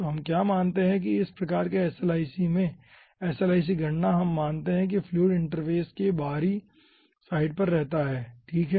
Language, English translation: Hindi, we assume that in this type of slic, slic calculations, we assume that fluid resides on heavy side of the interface